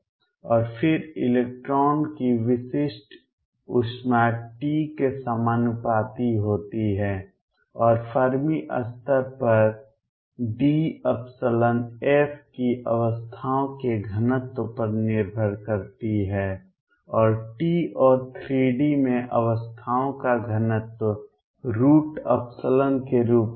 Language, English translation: Hindi, And then specific heat of electron is proportional to t and depends on density of states abs epsilon f, the Fermi level in t and density of states in 3 d was as square root of epsilon